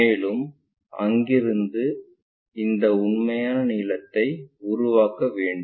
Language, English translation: Tamil, And, from there we would like to construct this true length